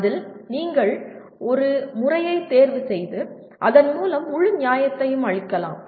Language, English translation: Tamil, Out of that you can select one method and giving full justification